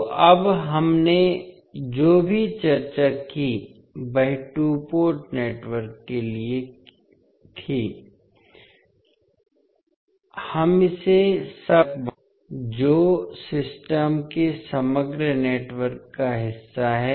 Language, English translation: Hindi, So now, whatever we discussed was for two port networks, we can extend it to n set of sub networks which are part of the overall network of the system